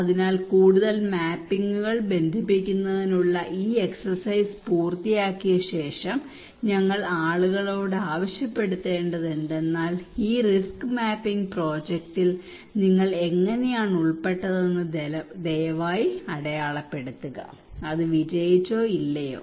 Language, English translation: Malayalam, And so after we finish this exercise of connecting many more mappings and all we ask people that hey please mark us that what how you involved into this project of risk mapping, was it successful or not